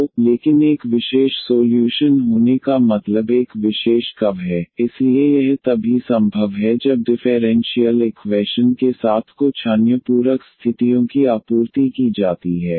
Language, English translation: Hindi, So, but having a particular solutions means a particular curves, so that is possible only when some other supplementary conditions are supplied with the differential equation